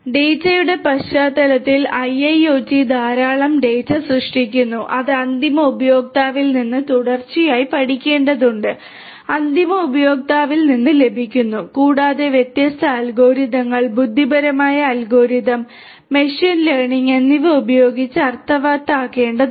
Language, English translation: Malayalam, In the context of data IIoT generates lot of data substantial amount of data which will have to be continue continuously learnt from the end user is obtained from the end user and will have to be made sense out of using different algorithms, intelligent algorithms, machine learning algorithms and so on and different challenges with respect to the storage of this particular data